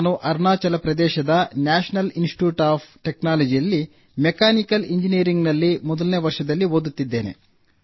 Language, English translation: Kannada, I am studying in the first year of Mechanical Engineering at the National Institute of Technology, Arunachal Pradesh